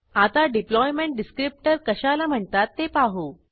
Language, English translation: Marathi, Now let us learn about what is known as Deployment Descriptor